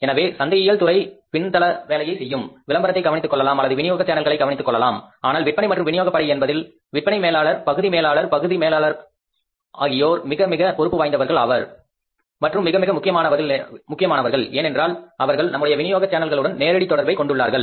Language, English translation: Tamil, So, marketing department does the back and job, maybe they take care of the advertising or they take care of say looking for the channels of distribution but the sales and distribution force who are there in the market, sales managers, area managers, area sales manager, they are very, very responsible people and very very important point because they are directly connected to our channel of distribution